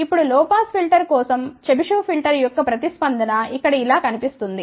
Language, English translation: Telugu, Now, for low pass filter the response of the Chebyshev filter looks something like this over here